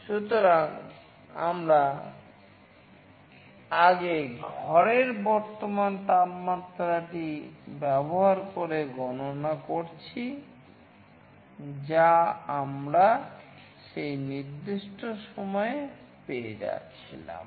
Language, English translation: Bengali, So, we have earlier calculated this using the current temperature of the room that we were getting at that particular time